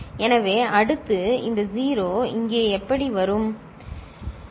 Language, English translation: Tamil, So, next this 0 will come over here like this, right